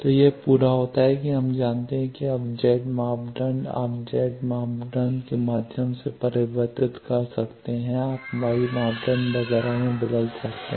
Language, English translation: Hindi, So, this completes that we know now Z parameter you can convert through Z parameter you can convert to y parameter etcetera